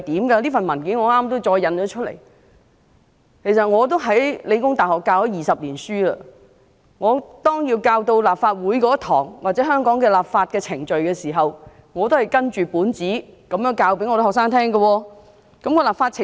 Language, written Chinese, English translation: Cantonese, 其實我在香港理工大學已任教20年，每當教授有關立法會或香港立法程序的課堂時，我都是依據這份文件教導學生有何立法程序。, Actually in my 20 years of teaching at The Hong Kong Polytechnic University I have always taught students about the legislative procedures according to this document during lessons about this Council or the legislative procedures of Hong Kong